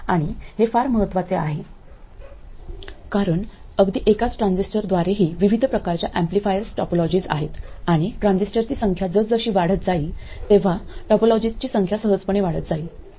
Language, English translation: Marathi, And this is very very very important because even with a single transistor, there is a variety of amplifier topologies and as the number of transistors increases, the number of topologies simply blows up